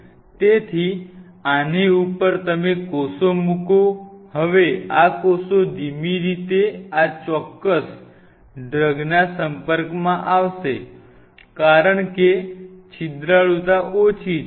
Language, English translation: Gujarati, So, on top of this you put the cells, now these cells will be exposed to this particular drug in a slow fashion, because the porosity is less